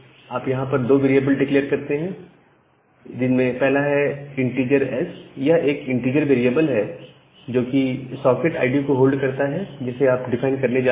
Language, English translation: Hindi, Now, whenever you are declaring a socket, so what you can do you can declare a very two variable called integer s integer type of variable which hold the socket id that you are going to define